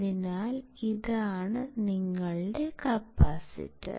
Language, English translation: Malayalam, So, this is your capacitor